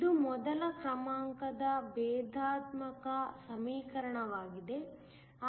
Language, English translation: Kannada, It is a first order differential equation